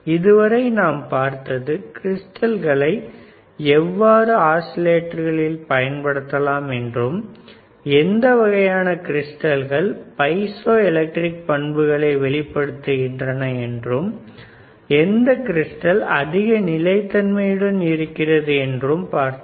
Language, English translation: Tamil, So, what we have seen until now is how the crystals can be used in oscillator, and then what kind of crystals are available which shows the piezoelectric properties, isn’t it shows the piezoelectric property and then we have seen that which crystal is more stable, which crystal is more stable and